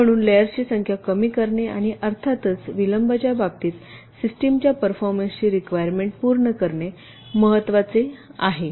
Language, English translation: Marathi, so so it is important to reduce the number of layers and, of course, to meet system performance requirements in terms of the delays